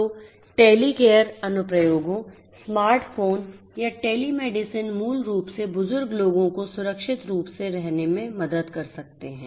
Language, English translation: Hindi, So, Telecare applications, smart phone or telemedicine basically can help elderly people to live safely